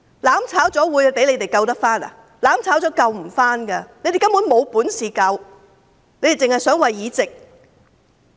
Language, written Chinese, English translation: Cantonese, "攬炒"後，事情是無法挽回的，他們根本沒有本事，只是想着議席。, After mutual destruction the situation will be irreparable . In fact they do not have such capability . They are just obsessed with the seats in the Council